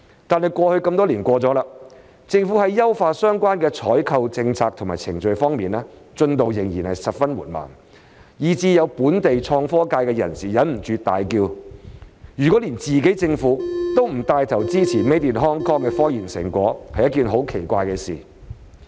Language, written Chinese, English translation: Cantonese, "但這麼多年已過去，政府在優化相關的採購政策及程序方面，進度仍然十分緩慢，以至有本地創科界人士忍不住大叫，如果連自己政府都不帶頭支持 Made in Hong Kong 的科研成果，是一件很奇怪的事。, But after so many years the Government has been so slow in optimizing its procurement policies and procedures that some members of the local innovation community cannot help but exclaim that it would be strange if even their own Government did not take the lead in supporting scientific research achievements that were made in Hong Kong